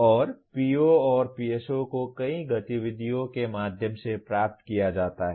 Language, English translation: Hindi, And POs and PSOs are attained through so many activities